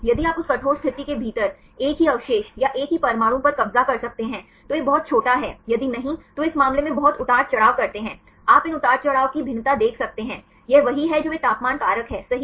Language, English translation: Hindi, If you can occupy the same residue or same atom within that rigid position, then this is very small; if not then they fluctuate very much in this case you can see the variation of these fluctuations there this is what they give in terms of temperature factor ok